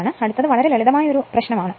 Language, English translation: Malayalam, So, this is very simple thing